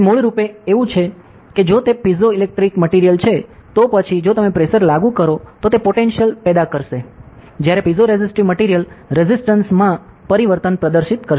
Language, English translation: Gujarati, So, it is basically like if it is a piezo electric material, then if you apply the pressure it will generate a potential; while a piezoresistive material will exhibit a change in resistance